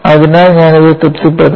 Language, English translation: Malayalam, So, I have to satisfy this